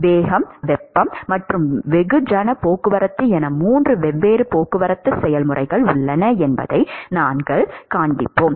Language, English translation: Tamil, We will show that there are 3 different transport processes which are momentum, heat and mass transport